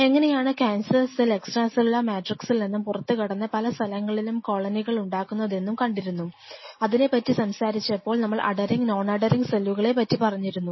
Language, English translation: Malayalam, And how a cancer cell cheats by moving out from its actual extracellular matrix profile and kind of you know like a rogue cell colonizes at different places, while talking about this we also talked about the concept of adhering cell or non adhering cell